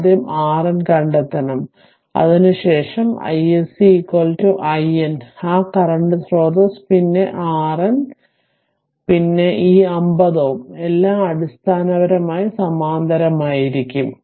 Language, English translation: Malayalam, After that with that R N ah all all your i s c that current source then R N, ah and then this 50 ohm all will be in parallel basically right